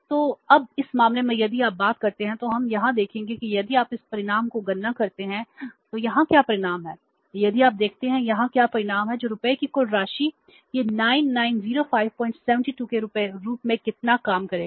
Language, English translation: Hindi, So, now in this case if you talk about then we will see here that what is the outcome here if you calculate this outcome if you see what is outcome here that is rupees total amount will work out as how much 9905